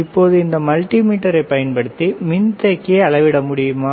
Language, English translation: Tamil, Now can you measure the capacitor using the this multimeter